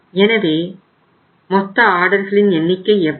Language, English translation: Tamil, So total number of orders will be how much